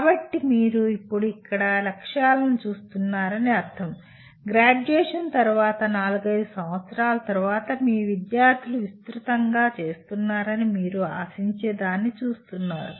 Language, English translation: Telugu, So that means you are now looking at objectives here would mainly you are looking at what you expect your students to be doing broadly four to five years after graduation